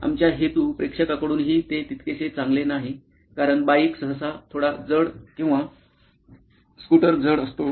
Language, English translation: Marathi, This is not well received by our intended audience as well, because the bike is usually a bit heavy or the scooter is a bit heavy